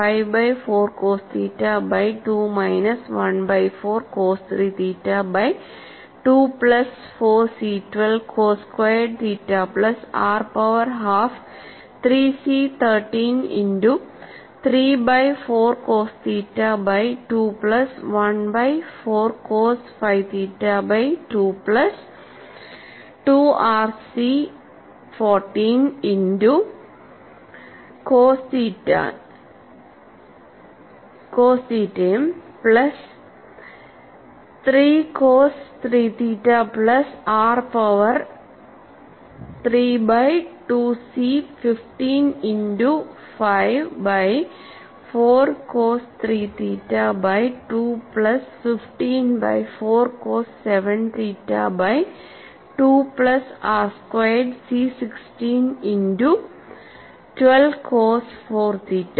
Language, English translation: Malayalam, The second term is 4 C 12 sin squared theta plus r power half fifteen by 4 C 13 multiplied by cos theta by 2 minus 1 by 5 cos 5 theta by 2; the next term is 6 r C 14 cos theta minus cos 3 theta plus thirty 5 by 4 r power 3 by 2 C 15 multiplied by cos 3 theta by 2 minus 3 by 7 cos 7 theta by 2 plus 12 r squared C 16 cos 2 theta minus cos 4 theta